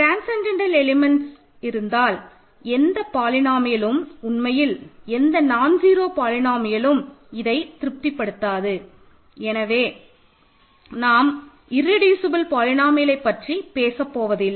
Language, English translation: Tamil, If you have a transcendental element there is no polynomial actually non zero polynomial that it satisfies, so we do not talk of irreducible polynomials ok